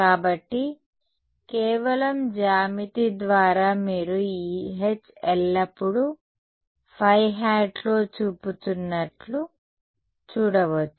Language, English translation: Telugu, So, that just by geometry you can see that this H is always pointing in the phi hat ok